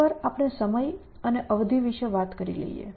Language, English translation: Gujarati, Once we were talking about time and durations